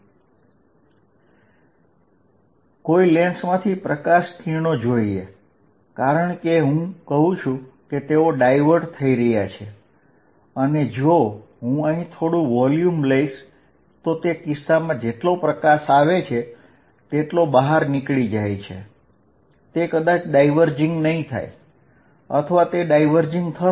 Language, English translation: Gujarati, Let see light rays from a lens, because I say are diverging and if I take small volume here, in that case whatever light comes in is also going out, it maybe may not be diverging